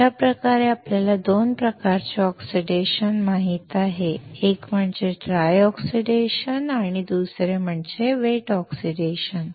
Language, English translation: Marathi, Thus, we know 2 types of oxidation, one is dry oxidation, and one is wet oxidation